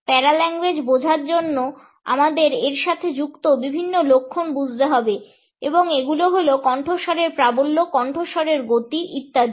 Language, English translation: Bengali, In order to understand paralanguage we have to understand different signs associated with it and these are volume of voice speed of voice etcetera